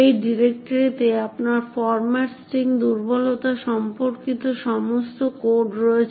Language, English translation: Bengali, In this directory you have all the codes regarding the format string vulnerability